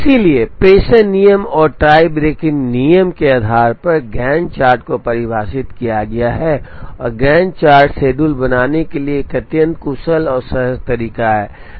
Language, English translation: Hindi, So, depending on the dispatching rule and the tie breaking rule, the Gantt chart is defined, and Gantt chart is an extremely efficient and intuitive way to draw a schedule